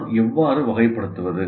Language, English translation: Tamil, Now how do I classify